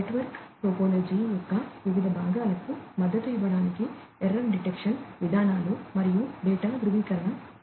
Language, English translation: Telugu, And, error detecting mechanisms and data validation for supporting you know different parts of the network topology